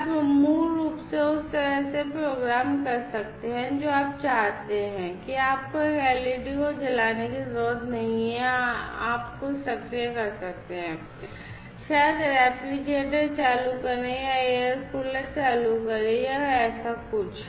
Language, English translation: Hindi, And you could basically program the way you would like, you know you do not have to glow an led you could actuate something you know maybe turn on the refrigerator or turn on the air cooler or something like that